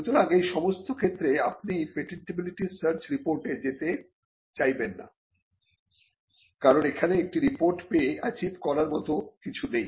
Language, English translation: Bengali, So, in in all these cases you would not go in for a patentability search report, because there is nothing much to be achieved by getting one